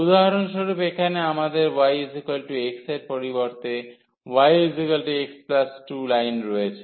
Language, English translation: Bengali, So, here we have instead of y is equal to x for example, y is equal to x plus 2 line